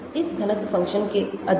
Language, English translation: Hindi, More of this density function